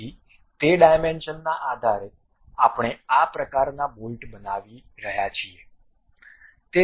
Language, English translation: Gujarati, So, based on those dimensions we are constructing this kind of bolt